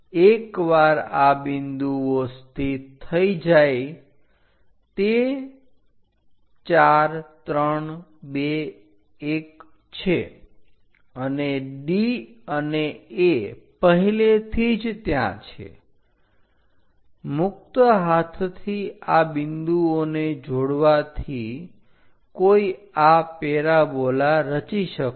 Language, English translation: Gujarati, Once these points are located those are this 4 3 2 1 and D already A point is there join, these points by freehand one will be constructing this parabola